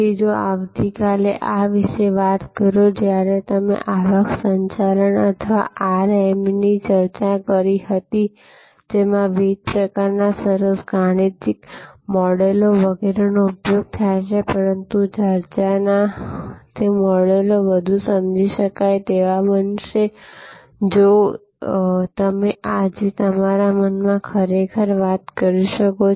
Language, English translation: Gujarati, Then, if you thing about this tomorrow when we discussed Revenue Management or RM, which uses various kinds of nice mathematical models, etc, but those models of discussions will become for more comprehensible, if you can actually thing in your mind today